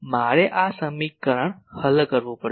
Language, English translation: Gujarati, I will have to solve this equation